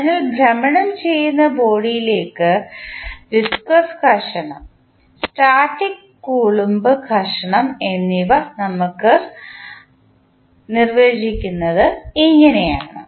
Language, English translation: Malayalam, So, this is how we define viscous friction, static and Coulomb friction in the rotating body